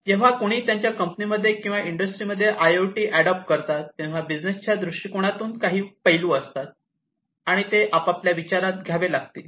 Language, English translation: Marathi, When somebody is adopting IIoT in the company in the industry, then there are certain aspects with respect to the business, they are that will have to be considered